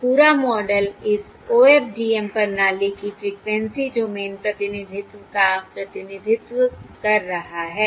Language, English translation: Hindi, This whole model represents the frequency domain representation of this OFDM system